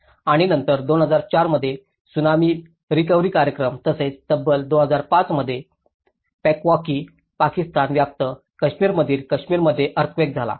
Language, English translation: Marathi, And then the Tsunami recovery programs in 2004 Tsunami and as well as 2005 earthquake in Kashmir in the Pewaukee Pakistan Occupied Kashmir